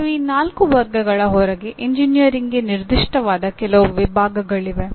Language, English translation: Kannada, And there are some categories specific to engineering outside these four